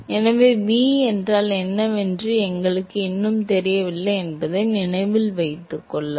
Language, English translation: Tamil, So, note that we still do not know what v is